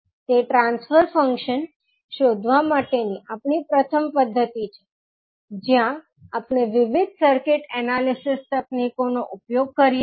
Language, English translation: Gujarati, That is our first method of finding out the transfer function where we use various circuit analysis techniques